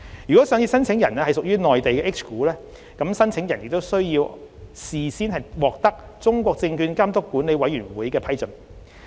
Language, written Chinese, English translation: Cantonese, 如上市申請人屬內地 H 股，申請人亦須先獲得中國證券監督管理委員會的批准。, If listing applicants are Mainland H - share companies they must also obtain prior approval from the China Securities Regulatory Commission